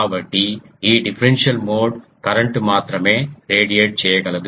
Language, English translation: Telugu, So, this differential mode current only can radiate